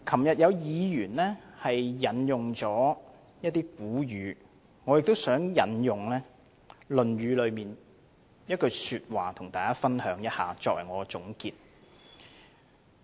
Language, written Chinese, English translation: Cantonese, 有議員昨天引用了一些古語，我也想與大家分享《論語》的一些話，作為我的總結。, Noting that a Member quoted some old sayings yesterday I would like to conclude my speech with texts from the Analects